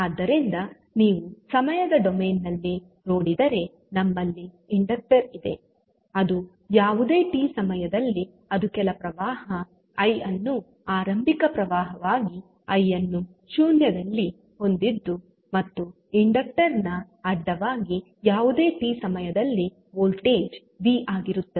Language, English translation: Kannada, So, if you see in time domain we have a inductor which is carrying some current I at any time t with initial current as i at 0 and voltage across inductor is v at any time t